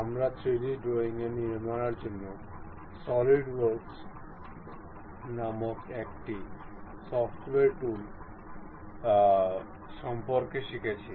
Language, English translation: Bengali, We are learning about a software tool named Solidworks to construct 3D drawings